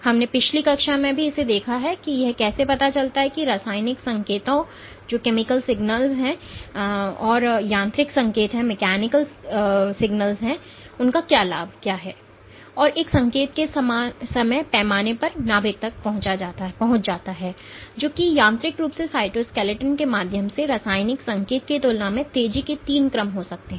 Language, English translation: Hindi, We also touched upon in last class how this you know the what is the benefit of mechanical signals versus a chemical signal, and the time scale of a signal reaching the nucleus mechanically that is via the cytoskeleton can be three orders of magnitude faster than chemical signal propagation, where the molecules have to diffuse through the cytoplasm to reach the nucleus